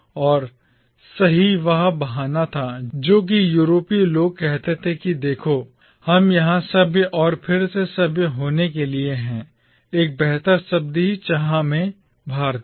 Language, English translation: Hindi, And that was the excuse which the Europeans used to say that, see, we are here to civilise or to re civilise, in want of a better word, the Indians